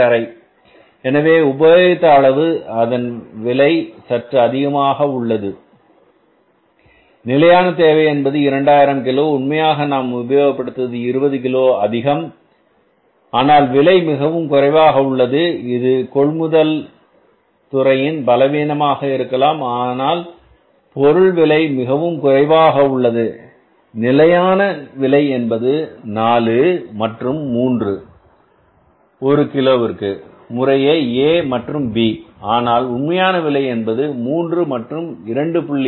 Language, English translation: Tamil, 50 so prices though the quantity used is has increased means against the standard requirement of the 2,000 kages actually they have used more material that is by 20 kg but price per unit has come down it may be the efficiency of the purchase department that they have been able to find out the material at a price which is much less than the standard price because standard price was 4 and 3 rupees per kg for A and B whereas the actual price has come up as 3 and 2